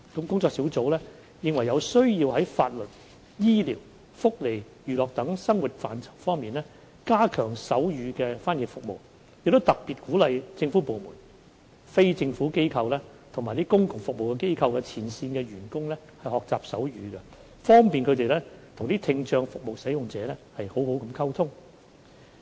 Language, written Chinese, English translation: Cantonese, 工作小組認為有需要在法律、醫療、福利及娛樂等生活範疇加強手語翻譯服務，亦特別鼓勵政府部門、非政府機構和公共服務機構的前線員工學習手語，方便與聽障服務使用者好好溝通。, The working group maintains that it is necessary to step up sign language interpretation service in the areas of law health care social welfare and entertainment . In particular it encourages the frontline staff of government departments NGOs and public utility organizations to learn sign language so that they can communicate with clients with hearing impairment more conveniently and properly